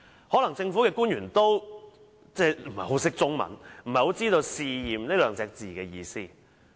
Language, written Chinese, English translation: Cantonese, 可能政府官員不太懂中文，不太知道"試驗"二字的意思。, Maybe the government official does not quite understand Chinese and does not really know what testing means